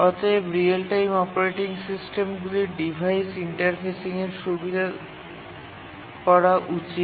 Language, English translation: Bengali, And finally, the real time operating systems should facilitate device interface